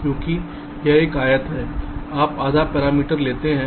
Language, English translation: Hindi, that will be here half parameter